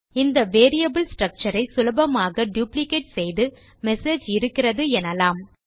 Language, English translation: Tamil, Also we have the message so we can easily duplicate this variable structure and say message in there